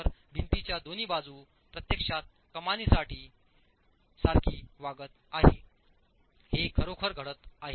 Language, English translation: Marathi, The two sides of the wall are actually acting like abutments for an arch